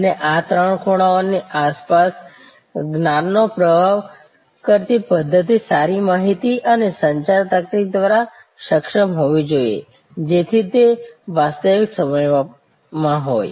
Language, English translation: Gujarati, And the system that flow of knowledge around these three corners must be enabled by good information and communication technology, so that it is real time